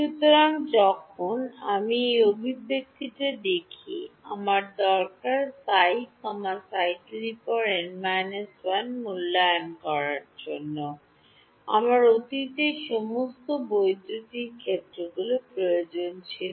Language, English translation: Bengali, So, when I look at this expression, I needed psi to evaluate psi n minus 1, I needed all past electric fields